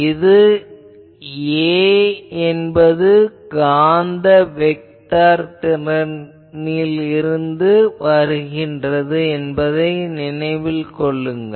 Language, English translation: Tamil, Please remember those A is come from that magnetic vector potential